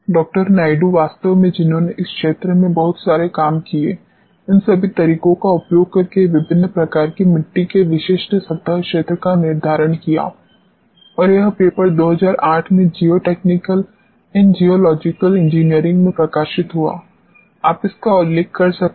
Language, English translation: Hindi, Doctor Naidu in fact, who did lot of work in this area determining the specific surface area of different type of soils by using all these methods and this paper was published in geotechnical and geological engineering in 2008, you can refer it if you want to go through this processes and complete methodology